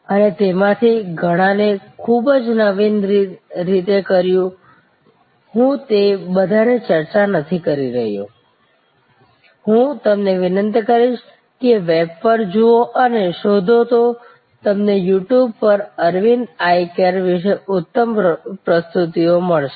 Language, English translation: Gujarati, And did it many of those many very innovatively, I am not discussing all of those, I would request you to look on the web and search you will find great presentations on You Tube and about this Aravind Eye Care